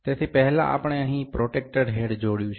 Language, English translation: Gujarati, So, first we have attached the protractor head here